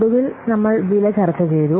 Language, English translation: Malayalam, So, finally, we have discussed the price